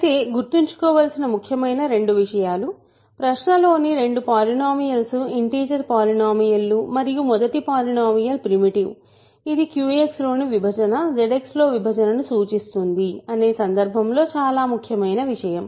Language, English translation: Telugu, But the important two things to remember; both polynomials in question are integer polynomials and the first polynomial is primitive that is very important only under that situation division in Q X implies division in f x, sorry division in Q X implies division in Z X